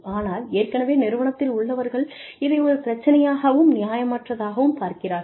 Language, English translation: Tamil, But, then people see, people who are already in the organization, see this as a problem, and unfair